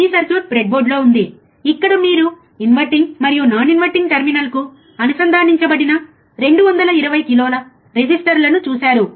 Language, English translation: Telugu, This circuit was there on the breadboard, where you have seen 220 k resistors connected to the inverting and non inverting terminal